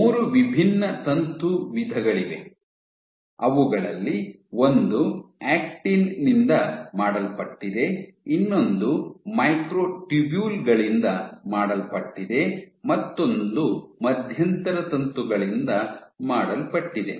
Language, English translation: Kannada, So, there are 3 different filament types one made of Actin, one made of Microtubules, one made of Intermediate Filament